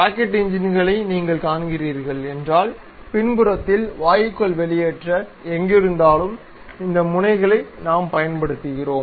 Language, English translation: Tamil, If you are seeing rocket engines on back side wherever the exhaust gases are coming out such kind of thing what we call these nozzles